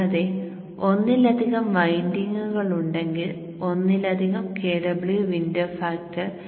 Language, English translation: Malayalam, Also remember that if there are multiple windings the KW window factor can go as low as 0